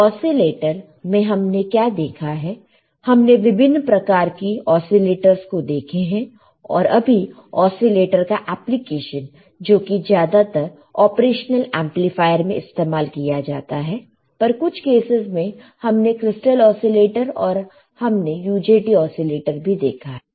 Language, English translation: Hindi, So, now, what we have seen that in case of in case of oscillators, we can have several types of oscillators and now the application of oscillators we have seen mostly in using operation amplifier, but in some cases, we have also seen a crystal oscillator, we have also seen a UJT oscillator, right